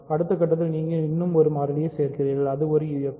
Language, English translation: Tamil, So, in the next stage you are adding one more variable it is a UFD